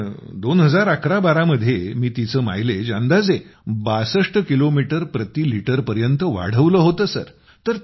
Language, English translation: Marathi, Sometime in 201112, I managed to increase the mileage by about 62 kilometres per liter